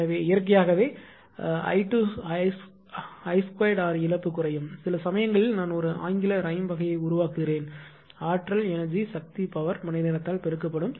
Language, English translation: Tamil, So, naturally I square r loss will it is, and sometimes sometimes I make one English rhyme type of thing that energy is power multiplied by hour